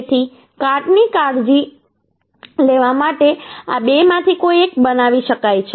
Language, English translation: Gujarati, So either of these two uhh can be made to take care the corrosion